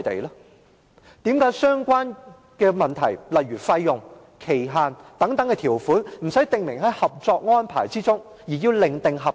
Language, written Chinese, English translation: Cantonese, 為甚麼相關問題如費用、期限等條款，不是訂明在《合作安排》中而要另訂合同？, How come the terms concerning fees and duration are not provided in the Co - operation Arrangement but in another contract?